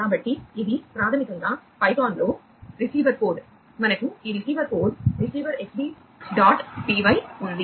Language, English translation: Telugu, So, this is basically the receiver code in python we have this receiver code receiver Xbee dot p y